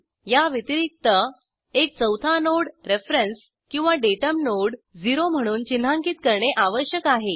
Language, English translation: Marathi, In addition, a fourth node called as reference OR datum node must be marked as node 0